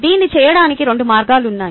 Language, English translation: Telugu, ok, there are two ways in which this can be done